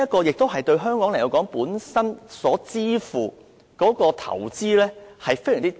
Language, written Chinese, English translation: Cantonese, 因此，對香港而言，我們本身付出的投資非常低。, So Hong Kong merely needs to make minor investment in this regard